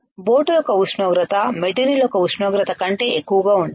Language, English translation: Telugu, The temperature of the boat should be greater than temperature of the material right